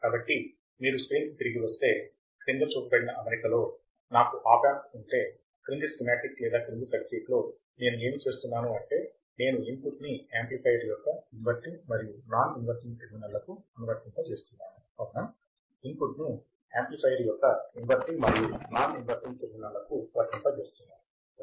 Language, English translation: Telugu, So, if you come back to the screen, so if I have an opamp in the following configuration, in the following schematic or following circuit, then what I see is that I am applying an input to the inverting as well as non inverting amplifier correct applying an input to the inverting as well as non inverting terminal of the amplifier